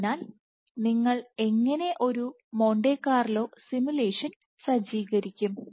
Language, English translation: Malayalam, So, how do you set up a Monte Carlo simulation